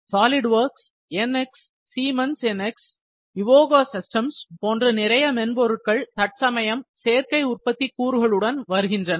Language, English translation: Tamil, So, many software’s like Solidworks, NX, Siemens NX, Evoga systems, they have come up with the additive manufacturing modules now